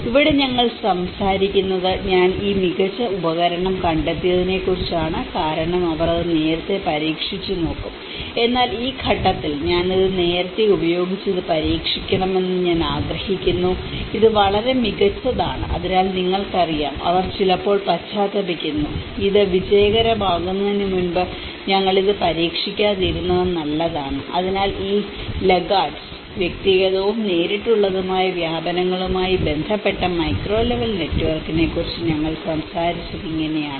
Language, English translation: Malayalam, Here, we are talking about I found this really awesome tool because they will just tried it but then you know at this stage I wish I do try it using this earlier, it is great so you know, they sometimes repent, better we have not tried it before it has been a successful you know, so like that these laggards, this is how there is also we talked about the micro level network which has to do with the personal and direct diffusions